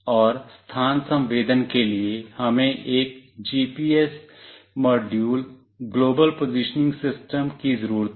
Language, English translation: Hindi, And for location sensing, we need a GPS module, global positioning system